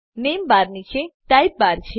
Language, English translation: Gujarati, Below the name bar is the type bar